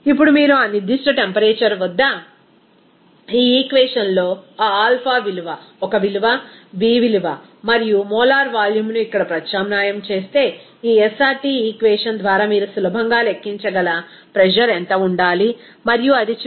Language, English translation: Telugu, Now, if you substitute that alpha value, a value, b value, and also molar volume here in this equation at that particular temperature, what should be the pressure you can easily calculate there by this SRT equation and it is finally coming as 89